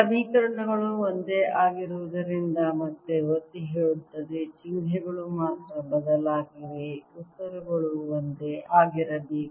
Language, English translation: Kannada, again emphasizing: since the equations are the same, only the symbols have changed, the answers should be the same